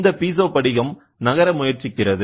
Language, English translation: Tamil, So, then this Piezo crystal tries to move